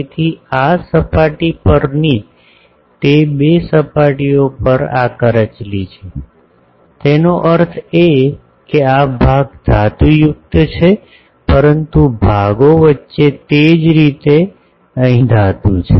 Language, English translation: Gujarati, So, on those two surfaces on this surface these are the corrugations; that means this portions are metallic, but between portions are non metallic similarly here